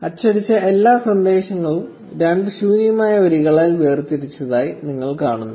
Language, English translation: Malayalam, So, you see all the messages printed separated by two blank lines